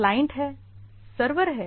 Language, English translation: Hindi, There are clients, there are servers right